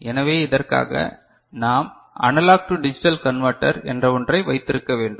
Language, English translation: Tamil, So, for which we need to have a something called Analog to Digital Converter